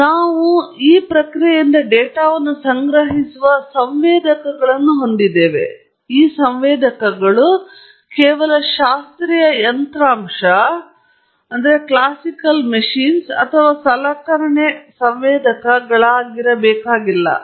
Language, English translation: Kannada, And we have sensors collecting data from the process and these sensors need not be just the classical hardware or instrumentation sensors